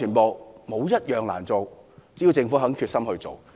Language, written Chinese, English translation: Cantonese, 沒有一項難做，只要政府有決心便可。, None of them is difficult to achieve if only the Government has the determination to do so